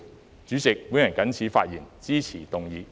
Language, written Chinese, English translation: Cantonese, 代理主席，我謹此陳辭，支持議案。, Deputy President with these remarks I support the motion